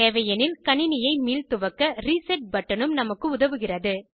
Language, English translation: Tamil, There is a reset button, too, which helps us to restart the computer, if required